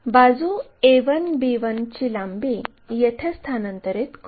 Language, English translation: Marathi, Transfer this length a 1 b 1, a 1 b 1 there